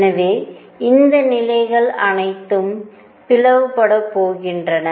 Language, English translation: Tamil, So, all these levels are going to split